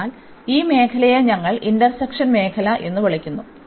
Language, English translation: Malayalam, So, this is the area which we call the area of integration